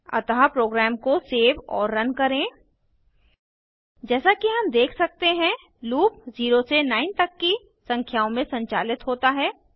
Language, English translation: Hindi, So save and run the program As we can see, the loop run over numbers from 0 to 9